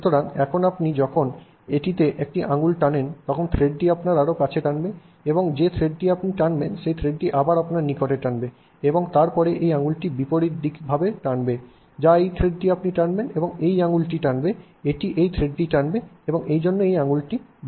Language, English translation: Bengali, So, now when you pull one finger in, it will pull the thread closer to you and that thread which let's say you have pulled this thread back closer to you and then that that will pull this finger in or let's say this thread you have pulled in, it will pull this finger, it will pull this thread in and therefore it will curl the finger